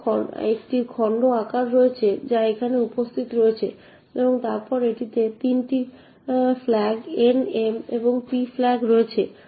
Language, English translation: Bengali, It has the chunk size which is present over here and then it has 3 flags N, M and P flag